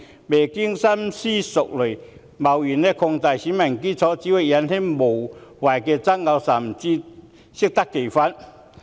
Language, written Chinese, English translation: Cantonese, 未經深思熟慮便貿然擴大選民基礎只會引起無謂的爭議，甚至適得其反。, Any hasty expansion of the electorate without careful consideration will only serve to stir up unnecessary disputes or even bring forth exactly opposite effects